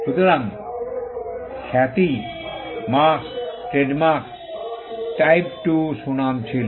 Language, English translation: Bengali, So, reputation, marks, trademarks, were type two reputation